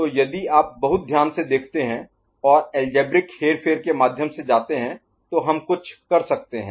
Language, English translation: Hindi, So, if we you know look very closely, and go through algebraic manipulation we can arrive at something ok